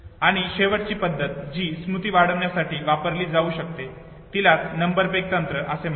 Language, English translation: Marathi, And the last method, that can be used to increase memory is, what is called as number peg technique